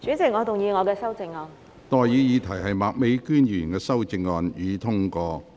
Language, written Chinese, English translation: Cantonese, 我現在向各位提出的待議議題是：麥美娟議員動議的修正案，予以通過。, I now propose the question to you and that is That the amendment moved by Ms Alice MAK be passed